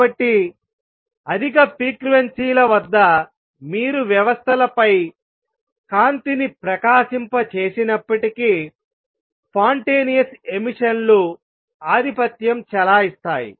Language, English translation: Telugu, So, at high frequencies even if you are to shine light on systems the spontaneous emission will tend to dominate